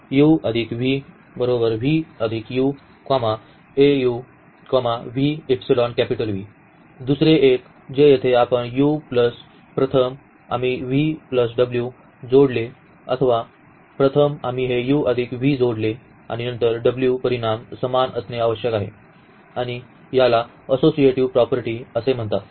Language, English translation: Marathi, The another one that here u plus first we add v plus w or first we add this u plus v and then w the result must be the same and this is called the associativity property